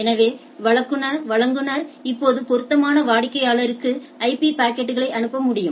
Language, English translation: Tamil, So, the provider can now direct the IP packets to the appropriate customer ok